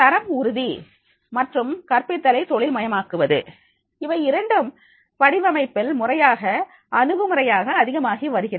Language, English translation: Tamil, Quality assurance and professionalization of teaching have also meant an increasingly formal approach to design